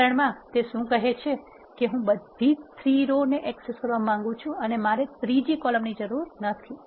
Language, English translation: Gujarati, In this example what does it says is I want to access all the 3 rows and I do not want the third column